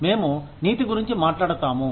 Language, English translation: Telugu, We talk about morality